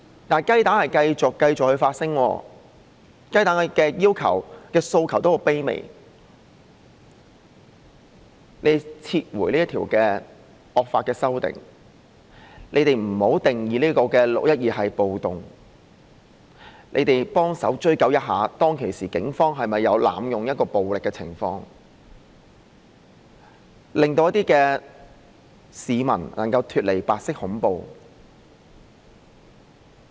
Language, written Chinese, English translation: Cantonese, 但是，雞蛋仍繼續發聲，而雞蛋的要求或訴求是很卑微的，也就是你們撤回這條惡法；你們不要把"六一二"定義為暴動；你們協助追究當時警方有否濫用暴力，令一些市民能夠脫離白色恐怖。, Nevertheless the eggs remain vocal and their requests or aspirations are most humble you withdraw such a draconian law; you do not categorize the 612 incident as a riot; you assist in pursuing whether or not the Police had employed excessive force at the scene so as to free some people from white terror